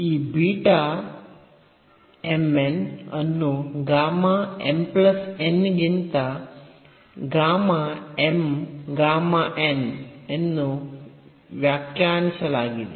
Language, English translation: Kannada, So, this beta m, n is defined as gamma m gamma n over gamma m plus n